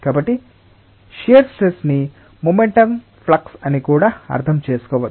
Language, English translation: Telugu, so shear stress may also be interpreted as the momentum flux